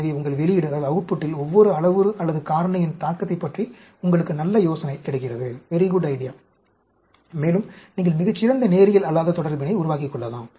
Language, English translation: Tamil, So, you get very good idea about the effect of each parameter, or factor, on your output, and, you can develop very good non linear relationship